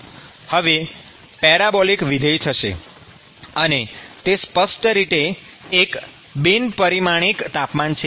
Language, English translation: Gujarati, So, this ratio is now going to be a parabolic function; and this is a non dimensional temperature